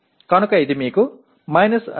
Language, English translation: Telugu, So that gives you 2